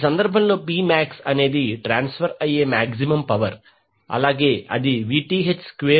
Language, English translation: Telugu, In this case P max the maximum power which would be transferred would be equal to Vth square by 8 into Rth